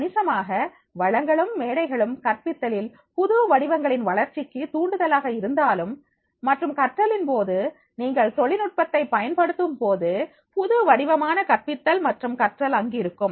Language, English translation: Tamil, Significantly, though, these resources and platforms are also stimulating the development of new forms of teaching and learning because of the when you are using the technology definitely new forms of the teaching and learnings are existing